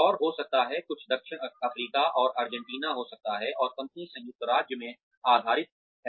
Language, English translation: Hindi, And, may be, some may be South Africa and Argentina, and the company is based in the United States